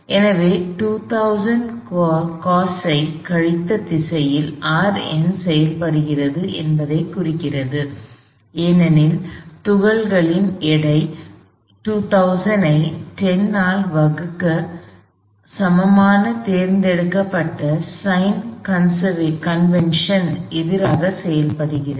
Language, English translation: Tamil, So, this implies, so I have R n acting in that direction minus 2000 cosine theta, because the weight of the particle acts opposite to the chosen sin convention that equals 2000 divided by 10